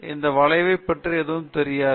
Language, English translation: Tamil, That means he does not know anything about this curve